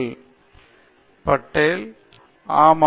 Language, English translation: Tamil, Bakthi patel: Yeah